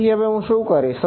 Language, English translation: Gujarati, So, what do I do now